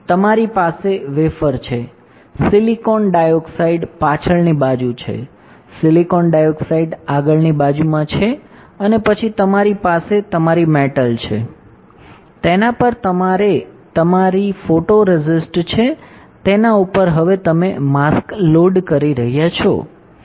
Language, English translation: Gujarati, You have the wafer, silicon dioxide is on the backside, silicon dioxide is in the front side and then you have your metal, over that you have your photoresist, over that you are loading now a mask